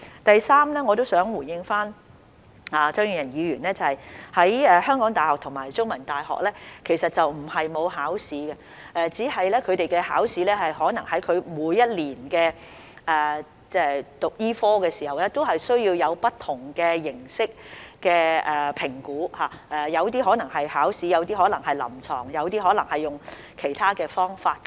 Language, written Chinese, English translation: Cantonese, 第三，我想回應張議員，香港大學及香港中文大學並非沒有考試，只是他們可能在每年讀醫科時，接受不同形式的評估，當中可能包括筆試、臨床考試或其他方式。, Thirdly I would like to respond to Mr CHEUNG that the University of Hong Kong and The Chinese University of Hong Kong do have examinations but their medical students may undergo different forms of assessment during their studies which may include written examinations clinical examinations or other forms of assessment